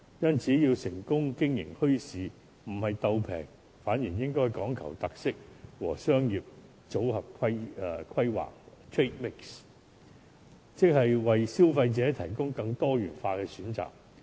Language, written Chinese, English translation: Cantonese, 因此，要成功經營墟市，不是"鬥平"，反而應該講求特色和商業組合規劃，即是為消費者提供更多元化的選擇。, Instead they should strive to include special features in their goods and create a good trade mix so as to provide consumers with more diversified choices